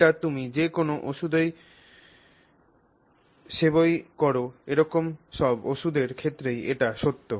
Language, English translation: Bengali, This is also true for any medicine that you take